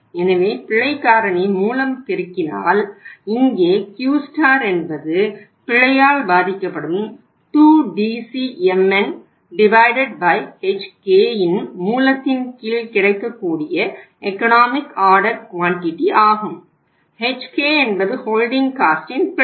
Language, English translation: Tamil, So if you multiply by the error factor here so Q star becomes means the economic order quantity which is affected by the error becomes under root of 2DCmn by Hk; Hk is the holding cost and that is also full of error